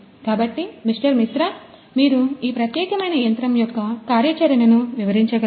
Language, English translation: Telugu, Mishra could you please explain the functionality of this particular machine